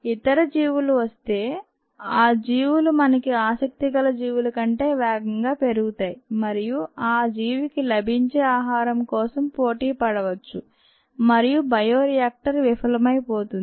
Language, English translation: Telugu, what happens is, if the other organisms come may be, those organisms can grow much faster than the organism of interest and that will compete with the organism for the food that is available and the bioreactor will be a failure